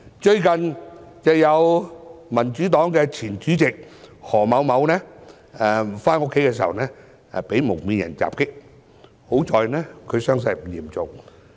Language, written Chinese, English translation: Cantonese, 最近民主黨的前主席何先生在回家途中被蒙面人襲擊，幸好傷勢不嚴重。, The former Chairman of the Democratic Party Mr HO was attacked recently by some masked people on his way home and the injuries sustained were fortunately not very serious